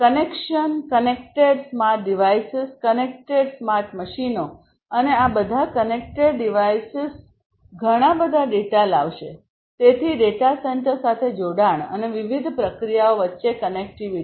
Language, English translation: Gujarati, Connection connected smart devices, connected smart machines, connected, and all of these connected devices will bring in lot of data; so connectivity with the data center and connectivity between the different processes